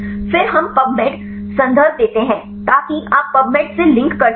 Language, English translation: Hindi, Then we give the pubmed reference so that you can link to the pubmed what is the pubmed